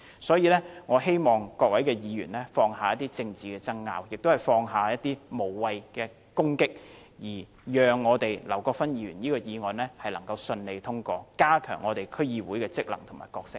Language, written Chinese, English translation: Cantonese, 所以，我希望各位議員放下政治爭拗，也放下無謂的攻擊，讓劉國勳議員這項議案能順利獲得通過，以加強區議會的職能和角色。, Hence I hope Members will put aside political disputes and stop the meaningless attacks so that Mr LAU Kwok - fans motion can be passed smoothly with a view to strengthening the functions and role of DCs